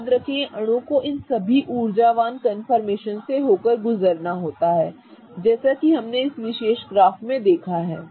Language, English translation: Hindi, Remember the molecule has to go through all of these energetic confirmations as we saw on this particular graph here, right